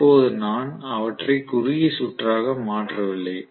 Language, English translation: Tamil, Now I have not short circuited them